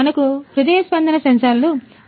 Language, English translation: Telugu, So, we have the heartbeat sensors